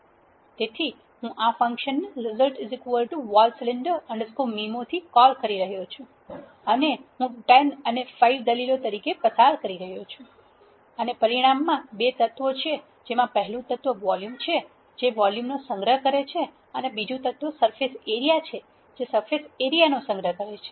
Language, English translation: Gujarati, So, I am calling this function result is equal to vol cylinder underscore mimo and I am passing 10 and 5 as my arguments this result will contain two elements the first element volume will contain volume the second element surface area will contain surface area